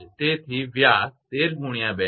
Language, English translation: Gujarati, So, diameter is 13 into 2